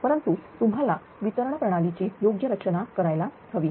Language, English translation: Marathi, But you have to do the proper design of the distribution ah system